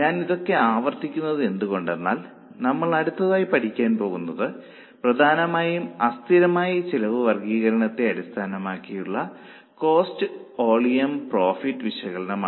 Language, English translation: Malayalam, I am repeating all this again because what we are going to learn now that is cost volume profit analysis is mainly based on classification of cost as per variability